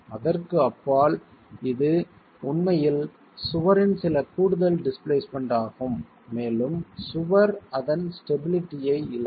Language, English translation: Tamil, Beyond that it is actually some additional displacement of the wall that you will get and the wall would then lose its stability itself